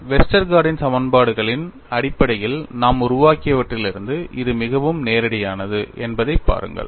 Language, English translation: Tamil, See this is very direct from whatever we have developed based on Westergaard’s equations; this is what you will have to appreciate